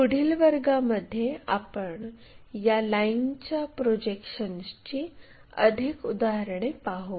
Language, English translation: Marathi, In the next classes we will look at more examples in terms of this line projections